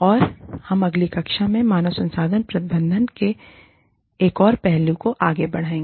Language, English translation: Hindi, And, we will move on, to another aspect of human resources management, in the next class